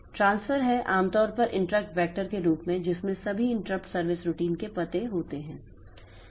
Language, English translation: Hindi, The transfer is generally through at the interrupt vector which contains addresses of all the interrupt service routine